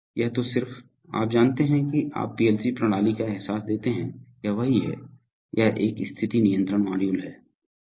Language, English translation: Hindi, So this is just, you know give you a feel of the PLC system, this is what, this is a position control module